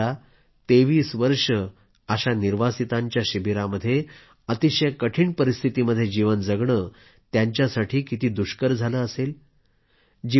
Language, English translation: Marathi, Just imagine, how difficult it must have been for them to live 23 long years in trying circumstances in camps